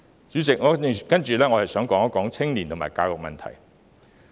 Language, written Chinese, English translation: Cantonese, 主席，接下來，我想談談青年和教育的問題。, President now I would like to talk about youth and education